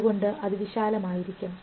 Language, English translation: Malayalam, So, they have to be widespread